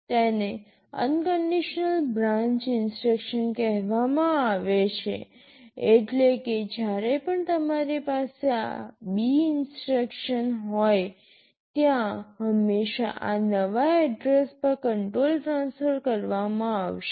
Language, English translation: Gujarati, This is called unconditional branch instruction meaning that whenever you have this B instruction, there will always be a control transfer to this new address